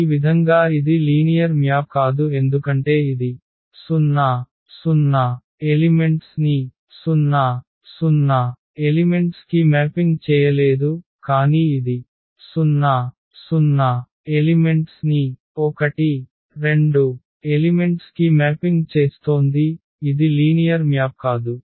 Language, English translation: Telugu, So, in this way this cannot be a linear map because it is not mapping 0 0 element to 0 0 element, but it is mapping 0 0 element to 1 2 element which cannot be a linear map